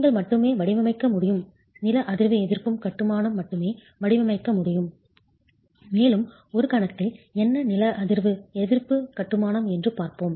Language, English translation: Tamil, You can only design, you can only design seismic resisting masonry and we will look at what is seismic resisting masonry in a moment